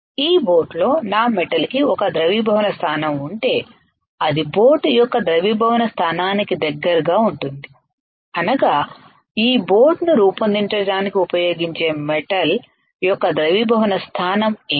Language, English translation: Telugu, If my metal right within this boat has a melting point which is close to the melting point of the boat what is melting point of the boat melting point of the metal that is used to form this boat